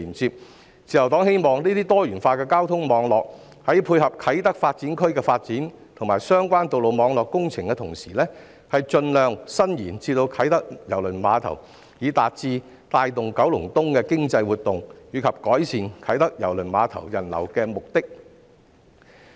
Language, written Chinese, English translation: Cantonese, 自由黨希望這些多元化的交通網絡在配合啟德發展區的發展，以及相關道路網絡工程的同時，盡量伸延至啟德郵輪碼頭，以達致帶動九龍東的經濟活動及改善啟德郵輪碼頭人流的目的。, The Liberal Party hopes that these diversified transport networks while supplementing the development of the Kai Tak Development Area and the related road network projects can also be extended to KTCT as far as practicable in order to achieve the objective of boosting the economic activities of Kowloon East and improving the flow of people visiting KTCT